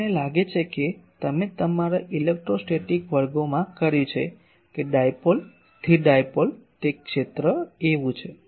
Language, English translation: Gujarati, This I think you have done in your electrostatic classes that the dipole static dipole, that the field is like this